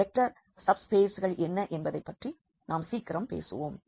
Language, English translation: Tamil, So, we will be talking about that soon that what are these vector subspaces